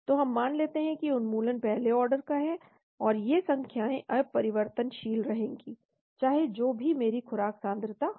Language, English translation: Hindi, So we assume elimination is first order , and these numbers remain constant whatever be my dose concentration